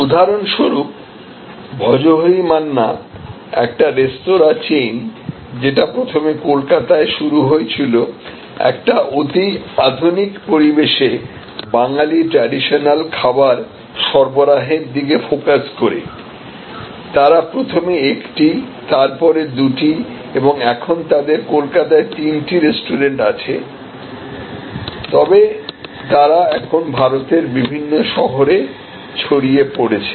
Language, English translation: Bengali, So, we have for example, Bhojohori Manna a chain of restaurant started originally in Calcutta, focused on offering Bengali traditional cuisine in a very modern ambiance, they started by opening one then two then three restaurant in Calcutta, but they are now spread over many cities in India